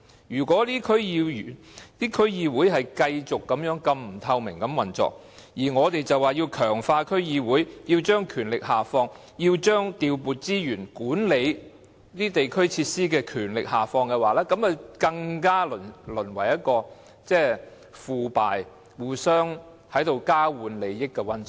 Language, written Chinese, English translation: Cantonese, 如果區議會的運作繼續如此不透明，還說要強化區議會，要將權力下放，要將調撥資源和管理地區設施的權力下放，這樣只會令區議會更為腐敗，淪為交換利益的溫床。, If such a lack of transparency in the operation of DCs continues any advocacy of strengthening DCs and devolving the power of allocation of resources and management of district facilities will only make DCs more corrupt and degenerate into a hotbed for exchange of benefits